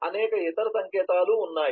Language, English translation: Telugu, there are several other notations